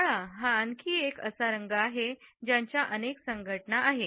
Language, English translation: Marathi, Black is another color which has multiple associations